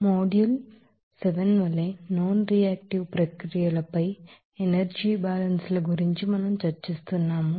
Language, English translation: Telugu, So, we are discussing about energy balances on nonreactive processes as a module 7